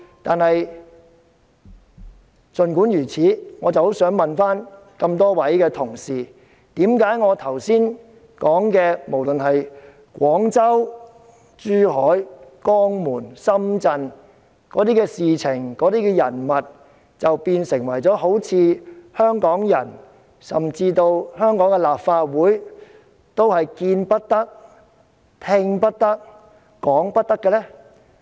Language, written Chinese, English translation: Cantonese, 但是，我也很想請問各位同事，為何我剛才提及的，不論是在廣州、珠海、江門或深圳的那些事件、人物，都好像變成了香港人甚或香港立法會見不得、聽不得、講不得的呢？, But I do as well want to ask our colleagues why those incidents and people that I talked about earlier those in Guangzhou Zhuhai Jiangmen or Shenzhen have somehow become a taboo forbidden to the Hong Kong people or even to the Hong Kong Legislative Council